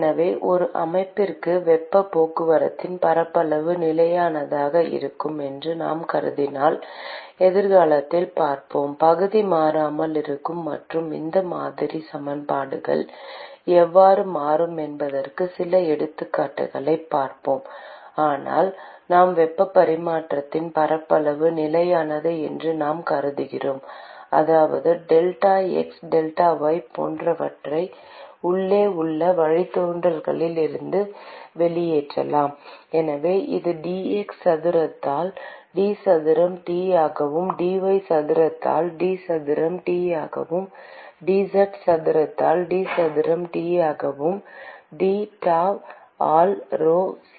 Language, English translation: Tamil, for a system, where area of heat transport is constant we will see in future we will see few examples of where area is not constant and how these model equations will change, but let us say to start with we assume that the area of heat transfer is constant, which means we can pull out delta x delta y etc from the derivatives inside; and so this will simply become k into d square T by d x square, plus d square T by dy square, plus d square T by dz square, plus qdot equal to rho*Cp